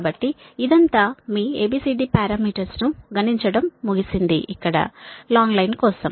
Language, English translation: Telugu, so so that is your all the a, b, c, d parameter computation for long line